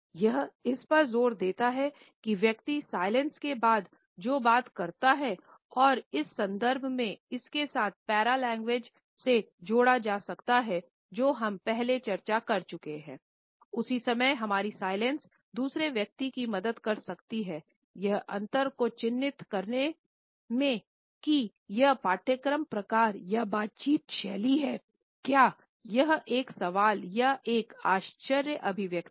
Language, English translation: Hindi, At the same time our silence can help the other person mark the difference in discourse types and conversational styles, whether it is a question or a surprised expression